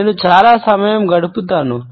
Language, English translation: Telugu, I do spend a lot of time back